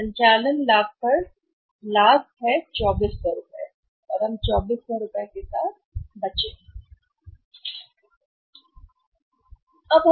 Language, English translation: Hindi, Operating profit is operating profit is 2400 we are left with 2400 rupees